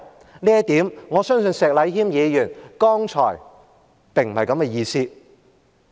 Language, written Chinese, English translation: Cantonese, 就這一點，我相信石禮謙議員剛才並非這個意思。, In this regard I believe this was not meant by Mr Abraham SHEK just now